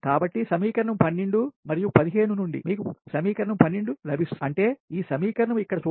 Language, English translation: Telugu, so from equation twelve and fifteen you will get equation twelve